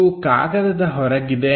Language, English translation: Kannada, So, this is out of paper